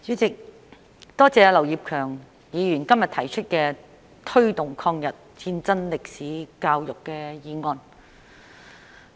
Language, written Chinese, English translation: Cantonese, 主席，多謝劉業強議員今天提出"推動抗日戰爭歷史的教育"議案。, President I would like to thank Mr Kenneth LAU for proposing the motion on Promoting education on the history of War of Resistance against Japanese Aggression today